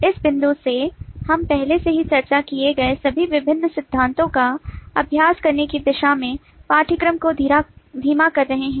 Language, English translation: Hindi, from this point onward we are slowing taking the course towards practicing all the different principles that we have already discussed